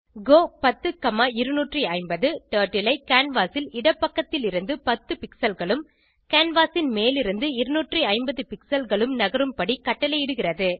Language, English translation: Tamil, go 10,250 commands Turtle to go 10 pixels from left of canvas and 250 pixels from top of canvas